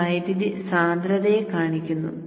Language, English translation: Malayalam, So this is the current density